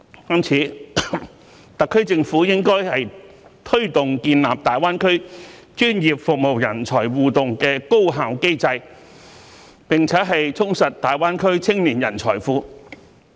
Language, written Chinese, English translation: Cantonese, 因此，特區政府應推動建立大灣區專業服務人才互動的高效機制，並充實大灣區青年人才庫。, The SAR Government should thus promote the establishment of an efficient and interactive system of professional services talents for Greater Bay Area so as to enrich the young talent banks there